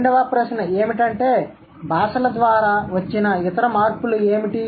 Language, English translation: Telugu, What are the other changes languages have gone through